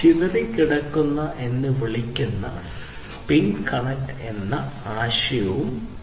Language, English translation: Malayalam, So, there is a concept of Piconet there is something called scatter nets which again are not required